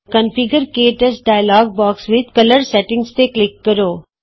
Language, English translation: Punjabi, In the Configure – KTouch dialogue box, click Color Settings